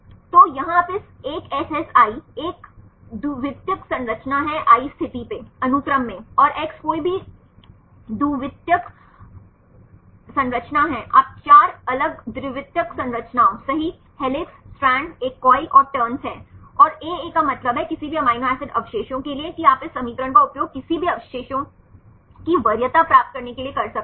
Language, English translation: Hindi, So, here you can see this a SSi is a secondary structure at a position i in the sequence and X is any secondary structure you can do it for 4 different secondary structures right helix, strand, a coil and the turns, and aa stands for any amino acid residues that you can use this equation to get the preference of say any residues